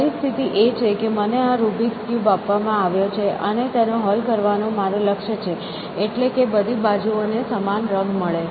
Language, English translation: Gujarati, So, the situation is that I am given this rubrics cube as it is and the goal is to solve it, meaning get all faces to have the same colors essentially